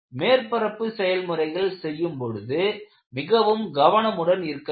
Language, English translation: Tamil, And whenever you go for a surface treatment, you will have to be very careful